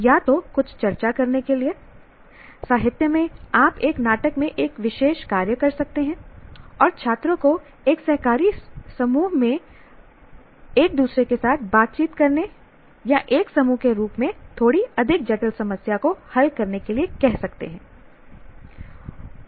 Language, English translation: Hindi, Either to discuss something, a particular, let us say in literature you can take one particular act in a drama and ask the students to interact with each other as a cooperative group or solve a slightly more complex problem as a group